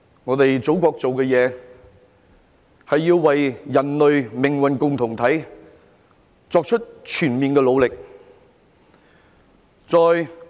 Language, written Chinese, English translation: Cantonese, 我們祖國所做的事，是要為人類命運共同體作出全面的努力。, What our Motherland is doing is to make all - out efforts for a community with shared future for mankind